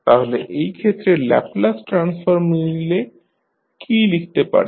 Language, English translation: Bengali, So, if you take the Laplace transform of this, what you can write